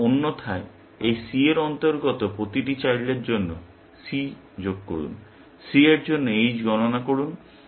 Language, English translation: Bengali, Then, otherwise add for each child c belonging to this C; compute h of c